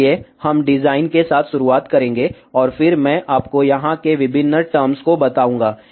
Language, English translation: Hindi, So, we will start with the design, and then I will tell you the different terms over here